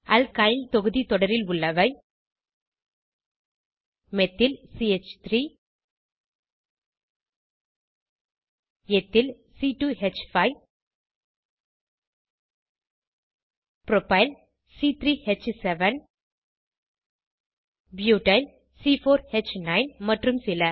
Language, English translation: Tamil, Homologues of the Alkyl group series include, Methyl CH3 Ethyl C2H5 Propyl C3H7 Butyl C4H9 and so on